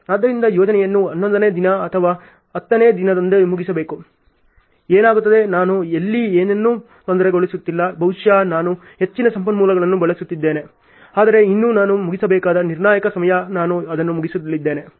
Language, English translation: Kannada, So, finishing the project on eleventh day or tenth day, what happens is I am not disturbing anything here maybe I am using more resources whatever it is, but still the critical time at which I have to finish I am meeting that in place ok